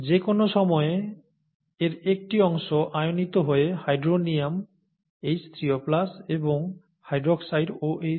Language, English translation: Bengali, A small part of it is ionised at any time into hydronium ions, H3O plus, and hydroxide OH minus, okay